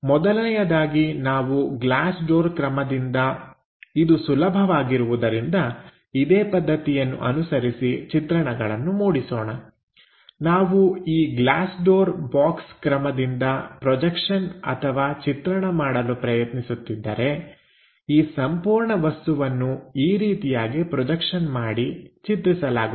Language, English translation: Kannada, The first one is maybe it is easy to construct a glass door kind of thing, then if we are trying to project on to this glass doors box method, this entire thing projects onto this views